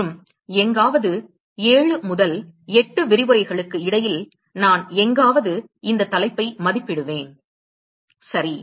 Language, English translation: Tamil, And somewhere around anywhere between 7 to 8 lectures is what I would estimate, for this topic alright